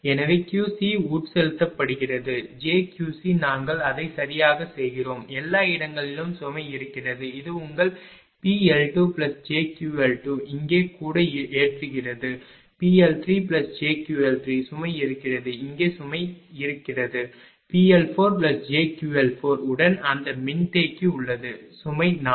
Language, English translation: Tamil, So, Q C is being injected Q C is being injected, j Q C we are making it right and everywhere the load is there load is there everywhere this is your P L 2 plus j Q L 2 here also load is there P L 3 plus j Q L 3 load is there here also load is there, P L 4 plus j Q L 4 along with that capacitor is connected at load 4